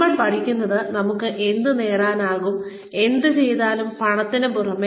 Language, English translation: Malayalam, What we learn, what we are able to get out of, whatever we do, in addition to money